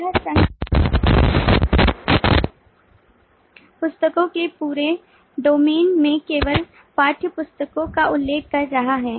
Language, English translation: Hindi, this association is referring to only the textbooks in the whole domain of books